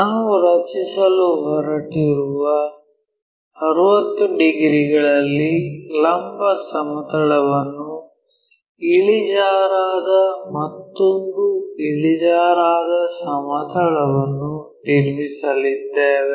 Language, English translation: Kannada, So, we are going to construct one more inclined plane that inclined vertical plane at 60 degrees we are going to draw